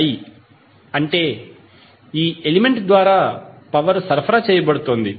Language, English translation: Telugu, It means that the power is being supplied by the element